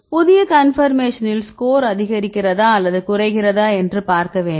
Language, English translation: Tamil, So, make new conformation and then see whether the score increases or decreases